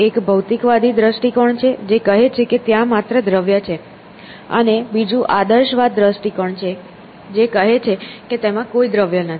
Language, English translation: Gujarati, One is materialist view which says that there is only matter and the other is the idealism view which says that there is no matter essentially